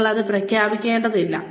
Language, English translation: Malayalam, You do not have to announce it